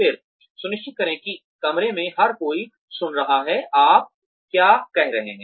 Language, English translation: Hindi, Then, make sure that, everybody in the room can hear, what you are saying